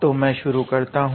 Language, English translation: Hindi, So, let me start all right